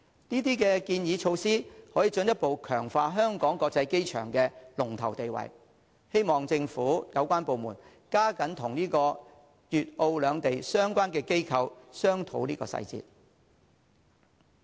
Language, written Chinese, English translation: Cantonese, 這些建議措施可進一步強化香港機場的龍頭地位，希望政府有關部門加緊與粵澳兩地相關機構商討細節。, These proposed measures will further reinforce the leading status of HKIA . I hope the government departments concerned will step up their efforts to discuss the details with the relevant authorities of Guangzhou and Macao